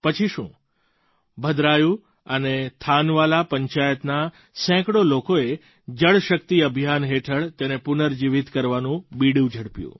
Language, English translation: Gujarati, But one fine day, hundreds of people from Bhadraayun & Thanawala Panchayats took a resolve to rejuvenate them, under the Jal Shakti Campaign